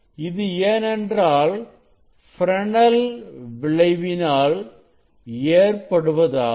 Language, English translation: Tamil, these are the due to the Fresnel diffraction